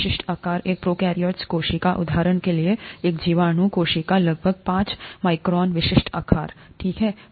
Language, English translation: Hindi, The typical sizes, a prokaryotic cell; for example, a bacterial cell, is about five microns, typical size, okay